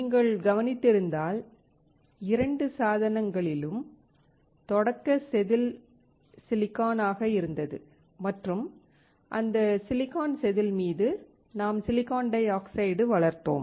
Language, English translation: Tamil, If you have noticed in both the devices, the starting wafer was silicon and on that silicon wafer, we grew silicon dioxide